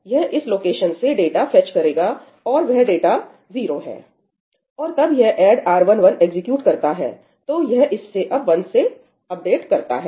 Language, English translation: Hindi, It will fetch the data from this location and that data happens to be 0, and then it executes ëadd R1 1í